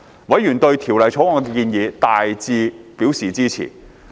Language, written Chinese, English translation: Cantonese, 委員對《條例草案》的建議大致表示支持。, Members were generally supportive of the proposals in the Bill